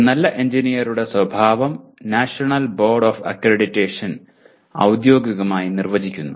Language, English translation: Malayalam, And the nature of good engineer is defined officially by the National Board of Accreditation